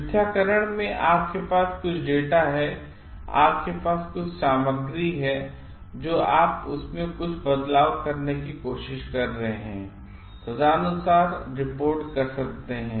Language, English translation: Hindi, In falsification, you have some data, you have some research materials, but you are trying to make some changes in that and report accordingly